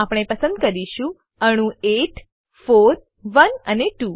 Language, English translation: Gujarati, So, we will choose atoms 8, 4,1 and 2